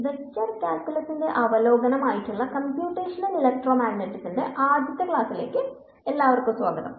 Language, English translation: Malayalam, And welcome to the first lecture on Computational Electromagnetics which is the review of Vector Calculus